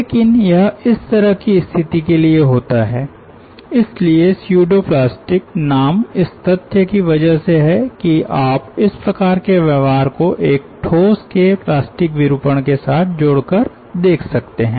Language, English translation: Hindi, so the name pseudo plastic comes from the fact that you may relate this type of behaviour with the plastic deformation of a solid